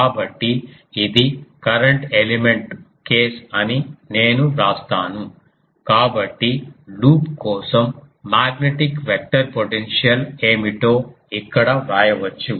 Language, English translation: Telugu, So, I will write this is current element case; so, here we can write that for loop what will be magnetic vector potential